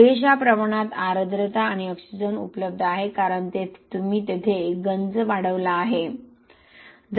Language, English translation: Marathi, Sufficient amount of moisture and oxygen are available because of that you have accelerated corrosion there